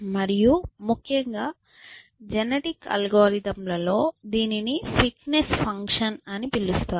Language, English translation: Telugu, And in particular the genetic algorithms can be calls it a fitness function essentially